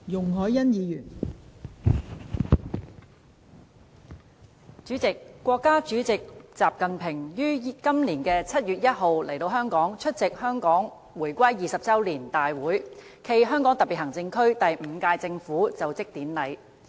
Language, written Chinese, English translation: Cantonese, 代理主席，國家主席習近平於今年7月1日前來香港，出席香港回歸20周年大會暨香港特別行政區第五屆政府就職典禮。, Deputy President Chinese President XI Jinping visited Hong Kong on 1 July this year for the 20 Anniversary of Hong Kongs Return to the Motherland and the Inaugural Ceremony of the Fifth Term SAR Government